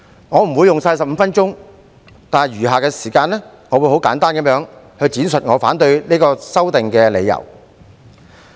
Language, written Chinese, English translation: Cantonese, 我不會用盡15分鐘的發言時間，在以下的時間，我會很簡單地闡述我反對《條例草案》的理由。, I will not use up my 15 minutes of speaking time . In the following I will briefly explain my reasons against the Bill